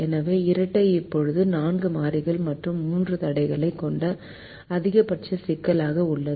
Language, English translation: Tamil, so the dual is now a maximization problem with four variables and three constraints